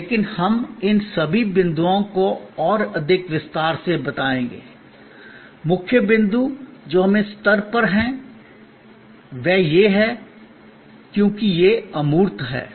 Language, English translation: Hindi, But, we will anyway explain all these points much more in detail, the key point that we are at this stage making is that, because it is intangible